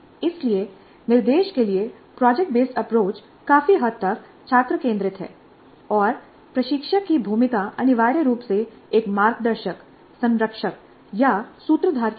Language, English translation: Hindi, So project based approach to instruction is substantially student centric and the role of instructor is more like a guide, mentor or facilitator, essentially